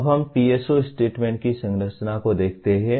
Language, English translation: Hindi, Now let us look at the structure of PSO statements